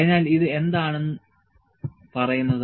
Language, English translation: Malayalam, So, what does this tell